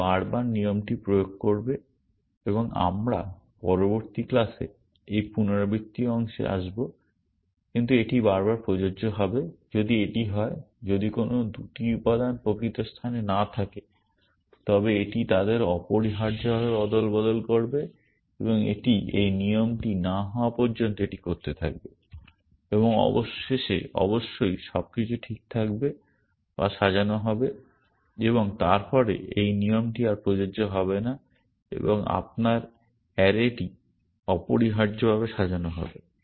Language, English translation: Bengali, It will repeatedly apply the rule and we will, we will come to this repetition part in the next class, but it will repeatedly apply to, if it is, it is if any 2 elements out of place it will swap them essentially and it will keep doing that till this rule matches and eventually of course, everything will be in place or sorted and then this rule will no longer apply and your array would be sorted essentially